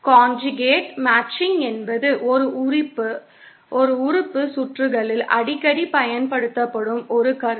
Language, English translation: Tamil, Conjugate matching is a concept that is frequently used in lumped element circuits